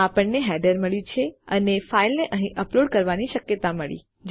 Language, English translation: Gujarati, Weve got our header and possibility to upload a file here